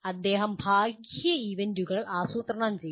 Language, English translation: Malayalam, He plans external events